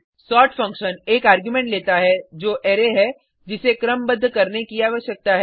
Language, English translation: Hindi, sort function takes a single argument , which is the Array that needs to be sorted